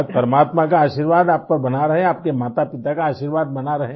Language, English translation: Hindi, May the blessings of All Mighty remain with you, blessings of motherfather be with you